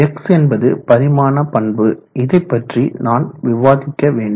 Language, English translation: Tamil, X characteristic dimension I will tell you how to get that